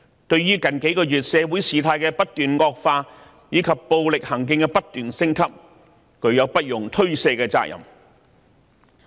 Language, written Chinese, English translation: Cantonese, 對於社會局勢在近幾個月持續惡化，暴力行徑不斷升級，他們有不容推卸的責任。, They cannot shirk their responsibilities for the deteriorating social situation and escalating violent acts in the past several months